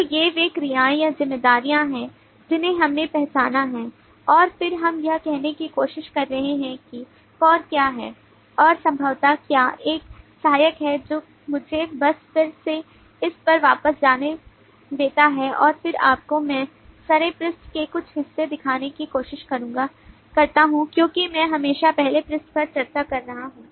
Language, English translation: Hindi, so these are the verbs or responsibilities that we have identified and then we are trying to say that what is core key and what possibly is just supportive one let me just again go back to this and then try to show you maybe i can pick up some parts from the second page because i am always discussing the first page